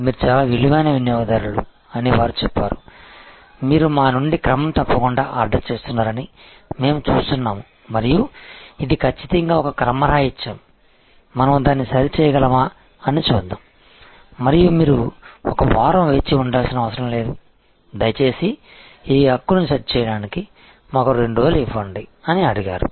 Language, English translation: Telugu, They said you are a very valuable customer, we see that you have been regularly ordering stuff from us and will definitely this is an anomaly, let us see if we can set it right and you do not have to wait for one week, please give us 2 days to set this right